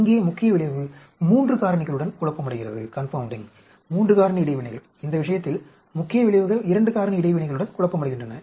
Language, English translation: Tamil, Here main effect is confounded with 3 factor, 3 factor interactions, whereas in this case the main effects are confounded with 2 factor interactions